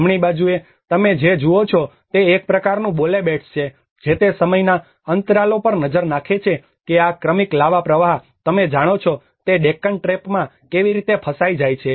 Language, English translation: Gujarati, On the right hand side what you see is a kind of Bole beds which is actually look at the time intervals of how these successive lava flows have been trapped in the Deccan Trap you know